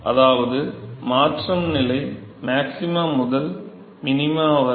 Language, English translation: Tamil, So, that is, the transition stage is from the maxima to the minima